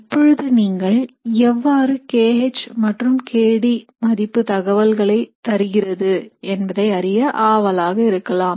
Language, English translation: Tamil, So now you would be curious as to how the k H over k D value gives you a lot of information about the reaction